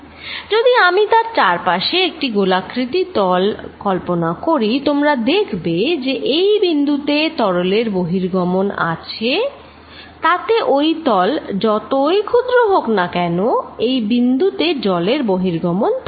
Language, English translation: Bengali, If I make a spherical surface around it you see there is an net flow or water outside at this point no matter how small the surface, this point there will be some water going out